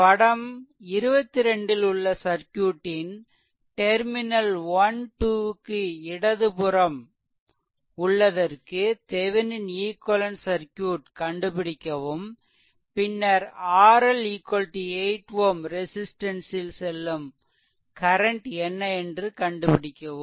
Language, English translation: Tamil, So, this example, say for example, find the Thevenin equivalent circuit of the circuit shown in figure 21 to the left of the terminals 1 2 right, then find current through R L is equal to 8 ohm resistance, right